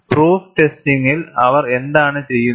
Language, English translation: Malayalam, In proof testing, what do they do